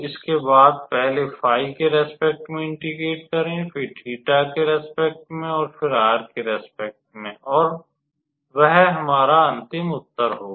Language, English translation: Hindi, And then integrate with respect to phi first, then with respect to theta, and then with respect to r, and that will be our required answer